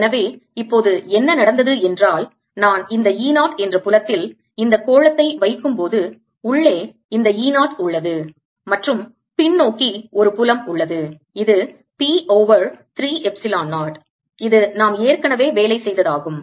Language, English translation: Tamil, so what has happened now is that when i put this sphere in this field e, there is this e zero inside and there is a field backwards which is p over three epsilon zero